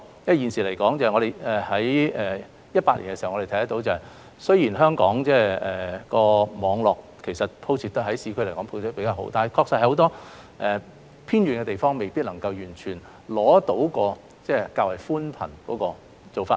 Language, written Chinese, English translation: Cantonese, 我們在2018年亦看到，雖然香港市區的網絡鋪設得比較好，但確實有很多偏遠地方未必能夠完全使用寬頻。, In 2018 we noticed that although the fibre - based networks in the urban areas in Hong Kong were rather extensive many remote areas indeed were still unable to have access to broadband services